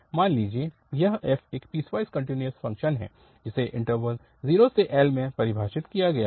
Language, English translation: Hindi, Suppose this f is a piecewise continuous function which is defined in the interval 0 to L